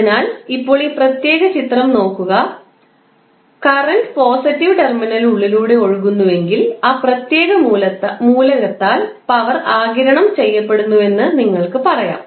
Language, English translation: Malayalam, If the current is flowing inside the element then the inside the element through the positive terminal you will say that power is being absorbed by that particular element